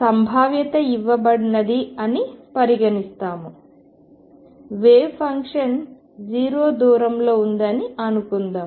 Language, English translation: Telugu, So, what we are considering is suppose there is a potential given the wave function is 0 far away